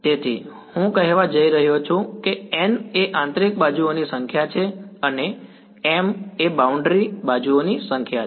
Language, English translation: Gujarati, So, I am going to say n is the number of interior edges and m is the number of boundary edges ok